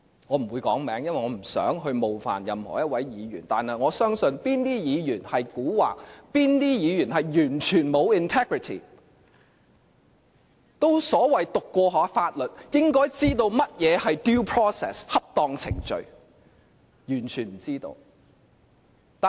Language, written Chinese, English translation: Cantonese, 我不會指名道姓，因為我不想冒犯任何一位議員，但我相信哪些議員蠱惑，哪些議員完全沒有 integrity， 他們都所謂唸過法律，本應知道甚麼是 due process， 即恰當程序，但他們完全不知道。, I will not name them because I do not want to offend any Member . But I know which Members are cunning and which Members are totally ripped of any integrity . As they claim to have received legal training they should know the meaning of due process